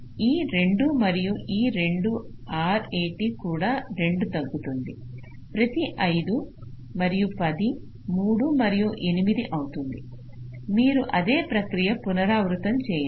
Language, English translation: Telugu, so this two and these two, the r a t also gets decreased by two each five and ten becomes three and eight, right, so same process